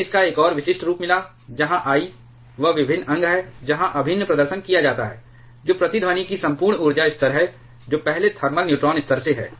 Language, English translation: Hindi, We got a more specific form of that where I is the integral where the integral is performed what is entire energy level of resonance that is from the first thermal neutron level